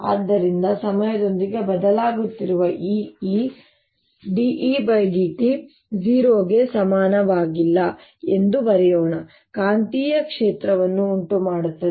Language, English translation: Kannada, so this e which is changing with time so let's write that d, e, d, t is not equal to zero will give rise to a magnetic field